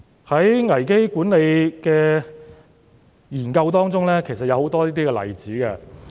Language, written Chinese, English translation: Cantonese, 在危機管理的研究中，其實也有很多這些例子。, From the studies on crisis management actually we can find many such examples